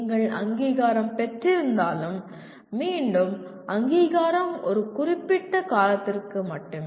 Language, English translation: Tamil, And even if you are accredited, again the accreditation is for a limited period